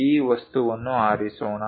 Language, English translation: Kannada, Let us pick this object